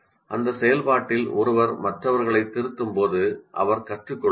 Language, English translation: Tamil, When you are correcting others in that process also, one would learn